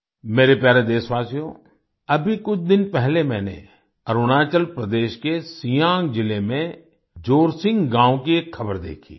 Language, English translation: Hindi, My dear countrymen, just a few days ago, I saw news from Jorsing village in Siang district of Arunachal Pradesh